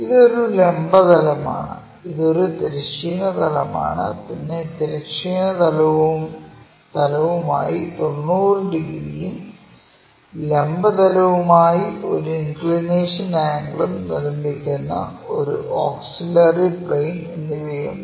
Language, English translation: Malayalam, This is a auxiliary vertical plane because it is making 90 degrees angle with respect to this horizontal plane, but making an inclination angle with the vertical plane